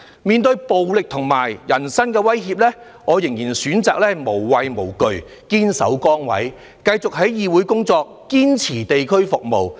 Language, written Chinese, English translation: Cantonese, 面對暴力和人身威脅，我仍然選擇無畏無懼，堅守崗位，繼續在議會工作，堅持地區服務。, In face of violence and personal attacks I have chosen to fearlessly remain in my position and continue to work in this Council and provide neighbourhood services